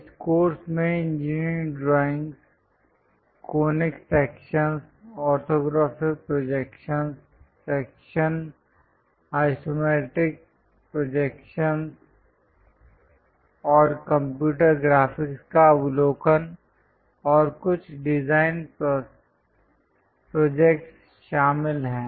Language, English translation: Hindi, The course contains basically contains engineering drawings, conic sections, orthographic projections, sections isometric projections and overview of computer graphics and few design projects